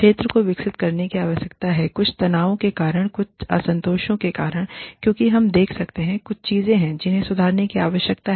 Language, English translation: Hindi, The field needs to evolve, because of certain tensions, because of certain discontents, because certain things, we can see, there are certain things, that need to be improved